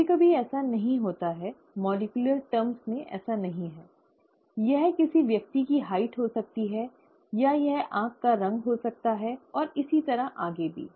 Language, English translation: Hindi, Sometimes it is not as, not in molecular terms as this, it could be the height of a person, or it could be the colour of the eye, and so on and so forth